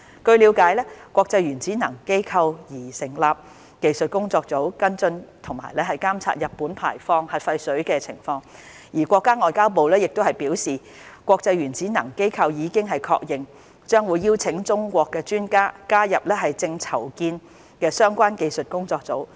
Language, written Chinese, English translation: Cantonese, 據了解，國際原子能機構擬成立技術工作組，跟進和監測日本排放核廢水情況，而國家外交部亦表示，國際原子能機構已經確認，將會邀請中國專家加入正籌建的相關技術工作組。, It was understood that the International Atomic Energy Agency IAEA has proposed to set up a technical working group to follow up and monitor Japans discharge of the nuclear wastewater . The Chinese Ministry of Foreign Affairs MFA remarked that IAEA has confirmed that it would invite experts from China to join the proposed technical working group